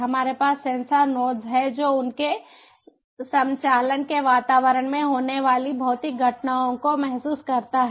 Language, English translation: Hindi, we have the sensor noses sensing the physical phenomena that are occurring in the environment of their operation